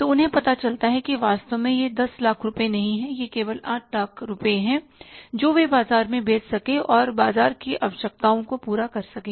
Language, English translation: Hindi, So, they find out that actually is not 10 lakh rupees, it is only up to 8 lakh rupees they could sell in the market and serve the market requirements